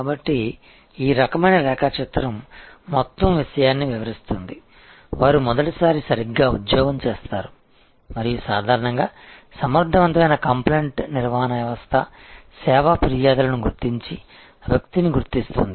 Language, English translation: Telugu, So, this kind of diagram explains the whole thing, they do the job right the first time and usual have effective compliant handling system identify the service complains and identify the person